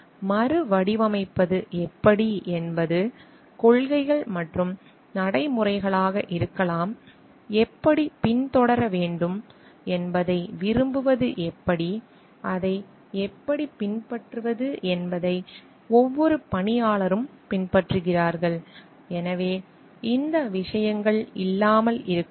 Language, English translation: Tamil, How to reframe may be the policies and procedures, how to like seek how to follow up like, it is followed by every employee how to; so, these things may not be there